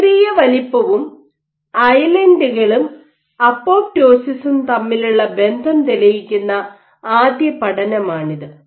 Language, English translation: Malayalam, So, this was the first study to demonstrate the relationship between idle size and islands and apoptosis and what it was also shown